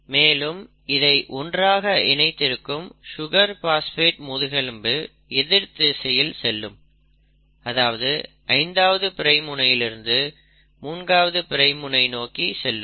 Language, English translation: Tamil, And the sugar phosphate bone which holds it together will be going in the opposite direction, 5 prime to 3 prime